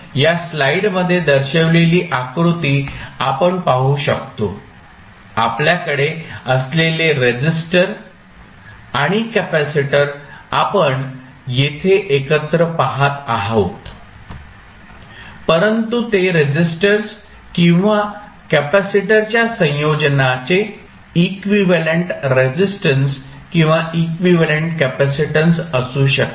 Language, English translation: Marathi, So now, we will see that the figure which is shown in this slide the resistor and capacitor we have, we are seeing here as a single one, but it can be equivalent resistance or equivalent capacitance of the combination of resistors and capacitor